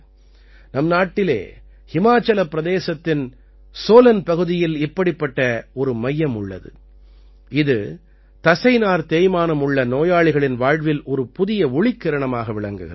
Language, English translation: Tamil, We have such a centre at Solan in Himachal Pradesh, which has become a new ray of hope for the patients of Muscular Dystrophy